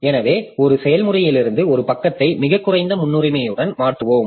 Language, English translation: Tamil, So we we replace a page from a process with the lowest priority